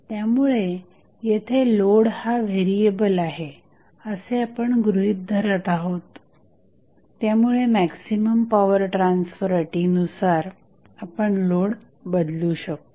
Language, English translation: Marathi, So, what we are assuming here is that the load is variable, so, that we can tune the load in accordance with the maximum power transfer condition